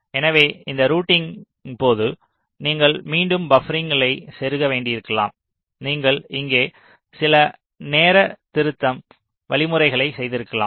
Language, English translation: Tamil, so during this routing you may have to again insert buffers, you may have carryout some timing correction mechanisms here